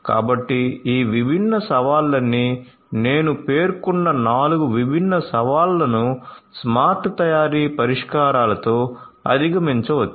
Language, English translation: Telugu, So, all of these different challenges the 5 different, the 4 different challenges that I have just mentioned could be overcome with smart manufacturing solutions